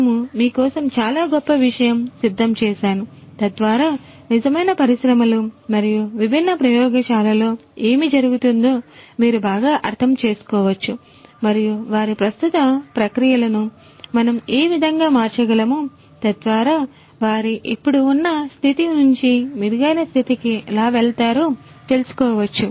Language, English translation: Telugu, So, so many rich content that we have prepared for you just so that you can understand better what goes on in the real industries and the different labs and how we could transform their processes to improve their existing processes towards betterment